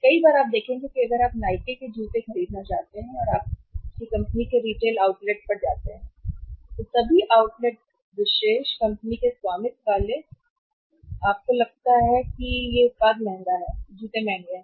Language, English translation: Hindi, Many times you will see that if you want to buy the Nike shoes and if you go to the retail outlet of the company all outlet specialised company owned outlet exclusive store you find the product is expensive, shoes are expensive